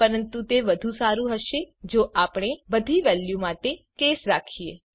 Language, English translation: Gujarati, But it would be better if we could have a case for all other values